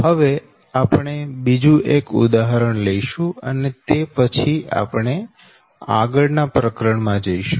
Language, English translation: Gujarati, so next, another example we will take, and after that we will go to the next chapter, right